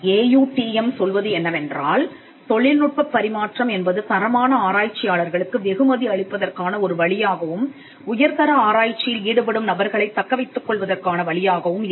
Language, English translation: Tamil, Transfer of technology the AUTM tells us can itself become a way to reward quality researchers and to also retain and recruit people who engage in high quality research